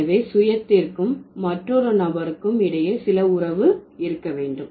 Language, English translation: Tamil, So there should be some relation between the self and another individual